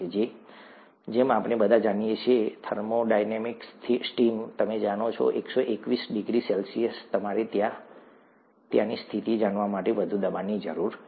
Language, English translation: Gujarati, As we all know, thermodynamic steam, you know 121 degrees C, you need a higher pressure to maintain the conditions there